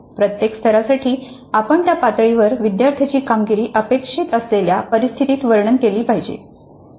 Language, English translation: Marathi, Then for each level we should describe under what conditions the student's performance is expected to be at that level